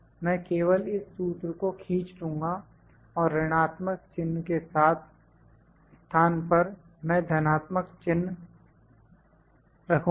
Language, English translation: Hindi, I will just drag this formula and in place of minus I will put plus